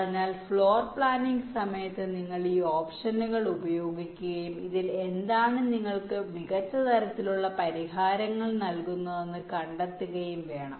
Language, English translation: Malayalam, so during floorplanning you will have to exercise these options and find out which of this will give you the best kind of solutions